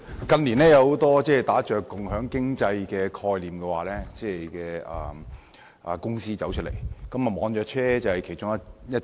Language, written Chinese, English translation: Cantonese, 近年有很多打着共享經濟概念的公司應運而生，而網約車便是其中一種。, Many companies operating under the banner of sharing economy have come into being in recent years and one example is e - hailing companies